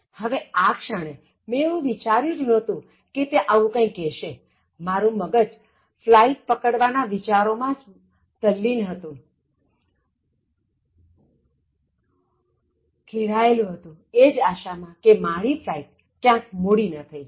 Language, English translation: Gujarati, Now, I didn’t expect that, he will say this at that moment and I my mind was so preoccupied with catching that flight and hoping that the flight won’t get delayed